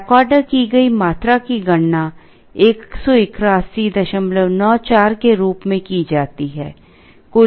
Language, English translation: Hindi, Quantity back ordered is calculated as 181